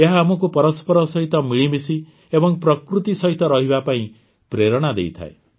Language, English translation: Odia, They inspire us to live in harmony with each other and with nature